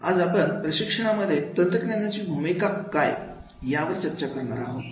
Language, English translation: Marathi, Today, we will discuss the role of technology in training